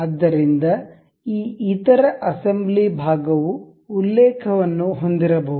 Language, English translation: Kannada, So, that this other assembly part may have a reference